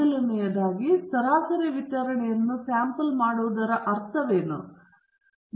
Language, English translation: Kannada, First of all, what is meant by sampling distribution of the mean